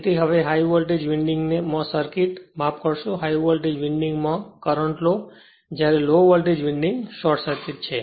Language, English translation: Gujarati, So, now the circuit in the high voltage winding to sorry current in the high voltage winding while low voltage winding is short circuited